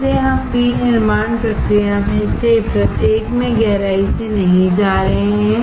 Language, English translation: Hindi, Again, we are not going into deep of each of the manufacturing process